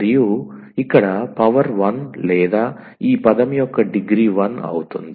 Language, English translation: Telugu, And the power here is 1 or the degree of this term is 1